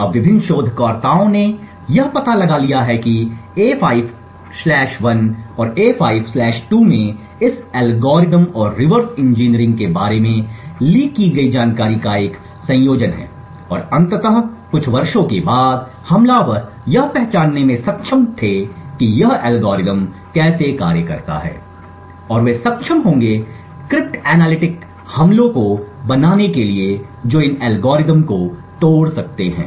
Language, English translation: Hindi, Now so various researchers have figured out how A5/1 and A5/2 there is a combination of leaked information about this algorithm plus reverse engineering and eventually after a few years the attackers were able to identify how exactly this algorithms function and they would be able to create crypt analytic attacks which can break these algorithms